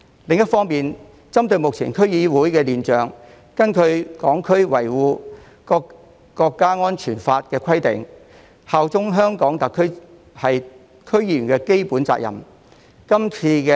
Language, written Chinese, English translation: Cantonese, 另一方面，針對目前區議會的亂象，根據《香港國安法》的規定，效忠香港特區是區議員的基本責任。, On the other hand regarding the current chaotic situation in DCs under the requirements of the National Security Law it is the basic responsibility of DC members to bear allegiance to HKSAR